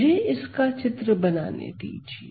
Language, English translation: Hindi, So, let me draw this